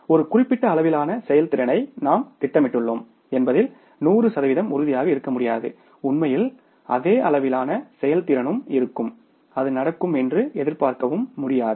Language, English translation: Tamil, You cannot be sure 100% that we are planning for a given level of performance and actually also will also be the same level of performance that is not expected to happen